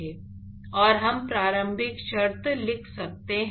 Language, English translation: Hindi, And, we could write initial condition